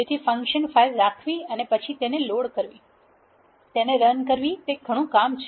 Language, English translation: Gujarati, So, having a function file and then loading it, invoking it is a lot of work